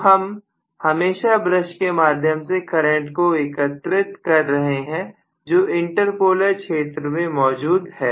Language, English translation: Hindi, So I am collecting always the current from the brush which is in the inter polar region